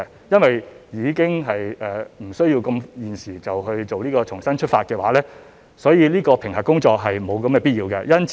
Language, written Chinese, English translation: Cantonese, 由於現時暫不需要推出"香港重新出發"，評核工作便沒有必要做。, As there is no need for the time being to start the Relaunch Hong Kong publicity campaign the assessment was not required